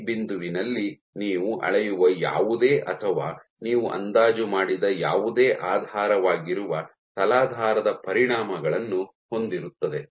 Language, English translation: Kannada, So, at point A, whatever you measure or whatever you estimate has effects of the underlying substrate